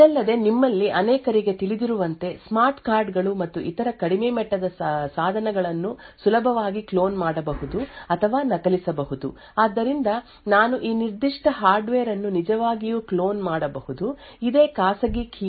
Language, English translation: Kannada, Further, as many of you would know smart cards and other such low end devices can be easily cloned or copied, So, this means that I could actually clone this particular hardware, create another hardware which has exactly the same private key